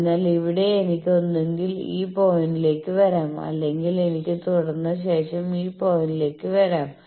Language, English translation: Malayalam, So, here I can either come to this point or I can continue and come to this point